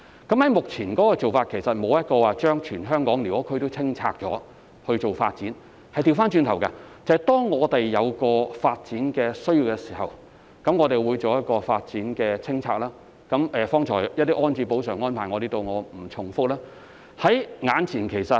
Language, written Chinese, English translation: Cantonese, 我們目前的做法，其實並非要清拆全港的寮屋區以作發展，而是相反，當我們有發展需要時，便會就某個發展項目進行清拆，剛才我曾提及一些補償安置的安排，在此不再重複。, Instead of demolishing all squatter areas in Hong Kong for development purpose in fact our current approach is to conduct clearance to make way for a particular development project when development needs arise . I have mentioned some compensation and rehousing arrangements earlier on hence I would not repeat them here